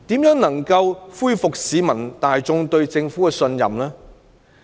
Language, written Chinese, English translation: Cantonese, 如何能夠恢復市民大眾對政府的信任呢？, How can public confidence in the Government be restored?